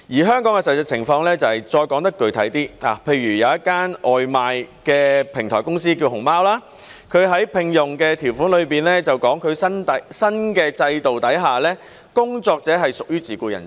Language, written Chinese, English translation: Cantonese, 香港的實際情況是，再說得具體一點，例如有一間名為"熊貓"的外賣平台公司，它在聘用條款說，在新的制度之下，工作者是屬於自僱人士。, I wish to talk more specifically about the reality in Hong Kong . In the case of a takeaway delivery platform company called Foodpanda for example it states in an employment term that workers are self - employed under the new system